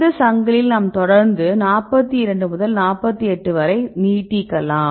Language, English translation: Tamil, Also if we in this chain I continuously a stretch 42 to 48